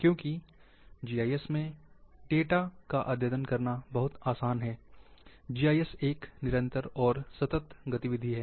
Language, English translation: Hindi, Because updating of data in GIS, is very easy,GIS is ongoing and continuous activity